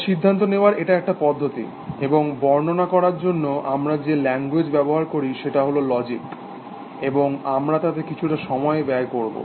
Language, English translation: Bengali, So, that is a process of making inferences, and the language that we use for representation is logic, and we will spend some time that